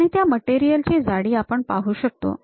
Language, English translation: Marathi, And the thickness of that material can be clearly seen